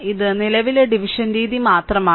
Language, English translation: Malayalam, So, it is current division method only